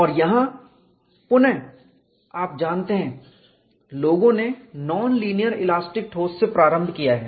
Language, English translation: Hindi, And here again you know, people have started from non linear elastic solids